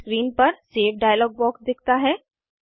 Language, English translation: Hindi, A Save dialog box appears on the screen